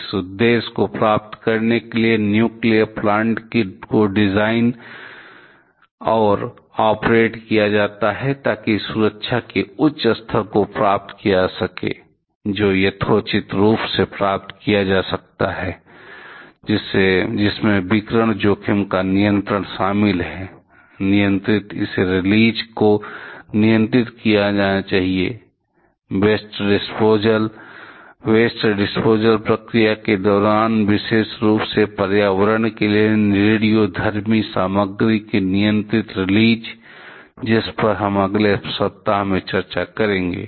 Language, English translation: Hindi, To achieve this objective nuclear plants are designed and operated, so as to achieve the higher standard of safety that can reasonably be achieved, which includes the control of radiation exposure, controlled it should be controlled release; controlled release of radioactive material to the environment during particular during the waste disposal procedure; which we shall be discussing next week